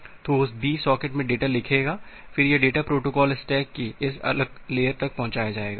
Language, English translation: Hindi, So, host B will write the data in the socket, then this data will be delivered to this different layer of the protocol stack